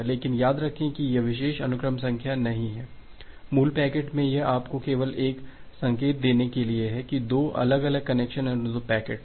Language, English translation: Hindi, But remember that this particular sequence number is not there, in the original packet this is just to give you an indication that well there are 2 different connection request packets